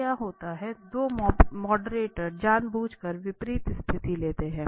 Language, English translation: Hindi, So what happens the two moderators but they deliberately take opposite positions